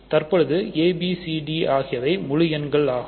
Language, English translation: Tamil, Now, a, b, c, d are integers